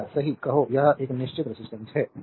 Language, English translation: Hindi, Say right this is a fixed resistance